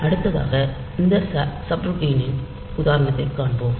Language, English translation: Tamil, So, next we will see an example of this subroutine